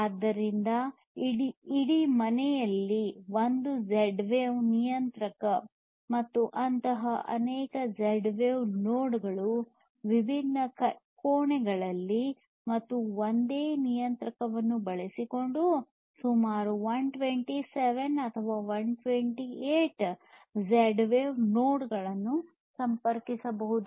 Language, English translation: Kannada, So, you have one Z wave controller, you have one Z wave controller in the entire home and then you have multiple such Z wave nodes in the different rooms, and we have seen that up to about 127 or 128 Z wave nodes can be connected using a single controller